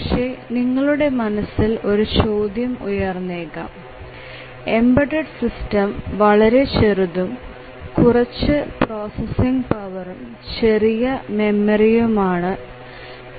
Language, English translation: Malayalam, But then one question that you have might in mind is that embedded systems are really small and they have very little processing power, small memory